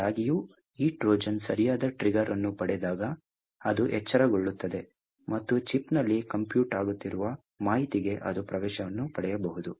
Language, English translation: Kannada, However, when this Trojan gets the right trigger, then it wakes up and it could get access to the information that is getting computed in the chip